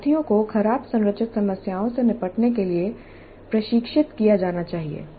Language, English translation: Hindi, So, learners must be trained to deal with ill structured problems